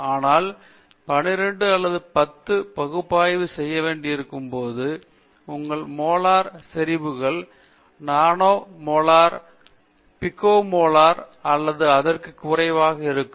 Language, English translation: Tamil, So, therefore, we can easily analyze them whereas, when you have to analyze 10 to the power of 12 or 10 to the 15, your molar concentrations becomes a nano molar, pico molar or even lower than that